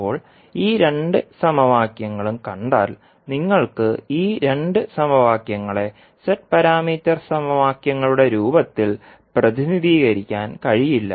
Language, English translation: Malayalam, Now, if you see these two equations you cannot represent these two equations in the form of Z parameter equations